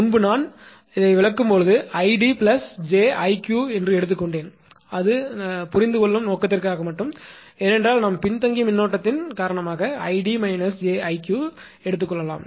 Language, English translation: Tamil, Previously while explaining I took id id plus j I q that is for simply that is such just for purpose of understanding because of the lagging current we can take id minus j I q right